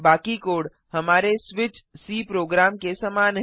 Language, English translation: Hindi, Rest of the code is similar to our switch.c program Let us execute